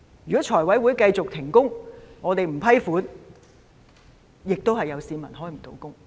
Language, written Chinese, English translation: Cantonese, 如果財委會繼續停工，我們不批出撥款，亦會有市民無法開工。, If the Finance Committee continued to stop operating and no funding were approved there would be people being thrown out of work